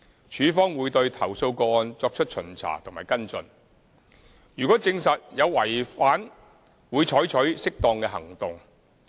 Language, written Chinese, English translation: Cantonese, 署方會對投訴個案作出巡查和跟進，如果證實有違反會採取適當的行動。, LandsD will conduct inspections and take follow - up actions for complaints . Appropriate actions will be taken if breaches of the lease conditions are confirmed